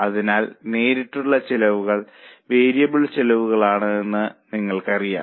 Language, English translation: Malayalam, So, you know that the direct costs are variable costs